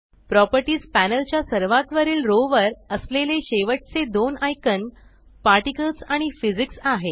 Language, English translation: Marathi, The last two icons at the top row of the Properties panel are Particles and Physics